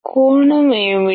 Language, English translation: Telugu, What is the angle